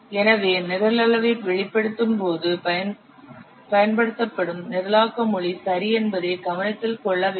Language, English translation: Tamil, Thus, while expressing the program size, the programming language used must be taken into consideration